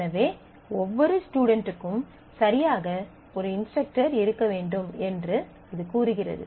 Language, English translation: Tamil, So, together it says that every student must have exactly one instructor